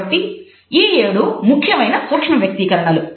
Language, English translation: Telugu, So, those are the seven major micro